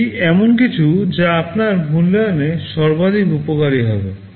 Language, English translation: Bengali, That is something that would be most beneficial in your assessment